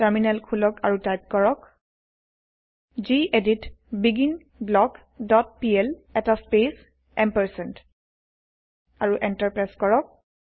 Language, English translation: Assamese, Open the Terminal and type gedit beginBlock dot pl space ampersand and press Enter